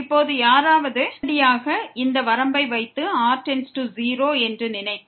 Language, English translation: Tamil, And now if someone just directly try to put the limit here and think that goes to 0